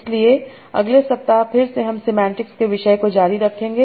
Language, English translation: Hindi, So next week again we will continue with the topic of semantics